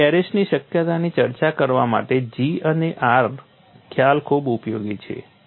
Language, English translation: Gujarati, So, G and R concept is very useful to discuss the possibility of arrest